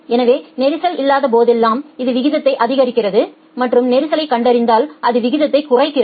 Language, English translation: Tamil, So, it increases the rate whenever there is no congestion and on detection of congestion it reduces the rate